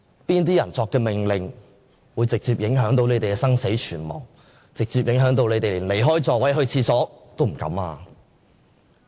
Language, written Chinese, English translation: Cantonese, 哪些人下的命令會直接影響他們的生死存亡，直接影響他們連離座上廁所也不敢？, Whose orders will directly decide their fate and survival so much so that they are not even dare to leave their seats and excuse themselves briefly?